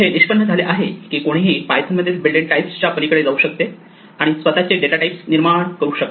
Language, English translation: Marathi, It turns out that one can go beyond the built in types in python and create our own data types